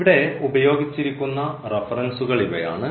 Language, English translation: Malayalam, These are the references used here